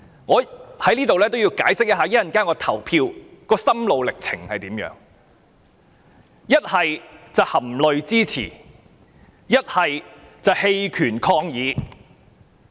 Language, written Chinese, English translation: Cantonese, 我在此要解釋一下我稍後表決的心路歷程：是含淚支持，還是棄權抗議。, I have to explain my mental struggles concerning how I will vote later on whether I will support in tears or I will abstain from voting in protest